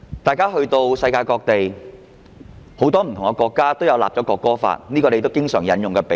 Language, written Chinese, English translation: Cantonese, 大家提到世界各地很多不同國家也有制定國歌法，這是他們經常引用的比喻。, Members mentioned that different countries around the world have enacted a national anthem law . This is an analogy frequently cited by them